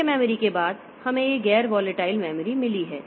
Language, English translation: Hindi, After main memory we have got this non volatile memory